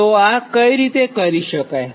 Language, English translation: Gujarati, so this is how one can this